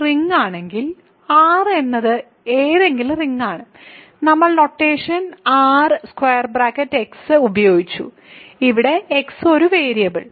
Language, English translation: Malayalam, So, if R is a ring; R is any ring remember we used notation R square bracket x where x is a variable ok